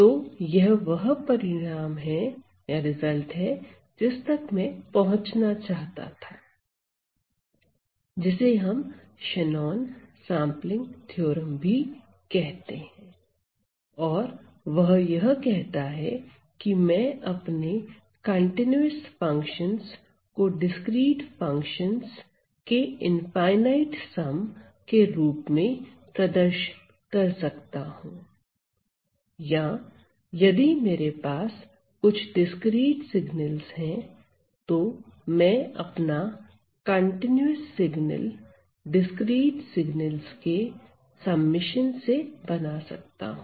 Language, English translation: Hindi, So, this is the; this is a result that I was trying to arrive at, also known as the Shannon sampling theorem and what it says is that, I can represent, I can represent my continuous function by an infinite sum of discrete functions or if I have some discrete signals, I can construct my continuous signal by the following summation of the discrete signals, that is the power of this theorem, the Shannon sampling theorem